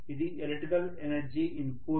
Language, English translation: Telugu, This is the electrical energy input